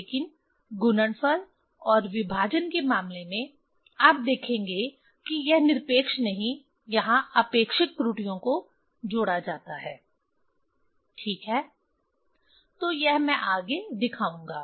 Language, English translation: Hindi, But in case of product and division, you will see there this not absolute, this is the relative errors are added ok, so that I will show next